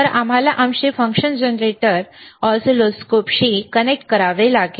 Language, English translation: Marathi, So, we have to connect our function generator to the oscilloscope